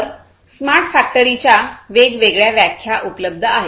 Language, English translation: Marathi, So, there are different different definitions of smart factory that is available